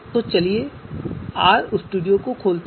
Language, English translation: Hindi, So let us open R studio